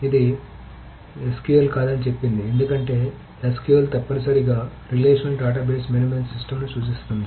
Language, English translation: Telugu, So it says it is not SQL, it starts off by it saying not SQL because SQL essentially stands for the relational database management system